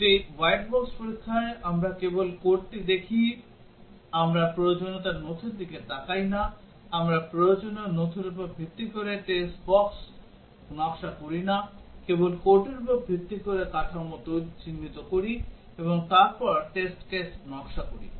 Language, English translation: Bengali, In a white box testing, we just look at the code, we do not look at the requirements document, we do not design test cases based on requirement document, only based on the code, identify the structure and then design the test cases